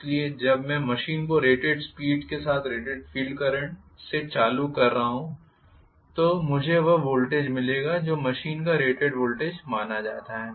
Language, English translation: Hindi, So, when I am running the machine at rated speed with rated field current been applied I will get the voltage which is supposed to be the rated voltage of the machine right